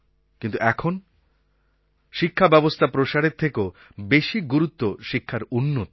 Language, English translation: Bengali, But today more than expanding education what is necessary is to improve the quality of education